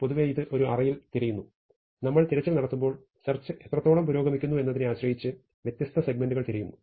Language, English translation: Malayalam, So, in general it searches an array, remember that when we do the search we might be searching different segments depending on how far we have progressed in the search